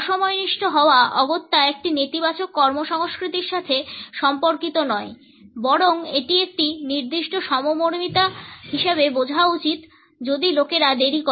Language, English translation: Bengali, Non punctuality is not necessarily related with a negative work culture rather it has to be understood as a certain empathy if people tend to get late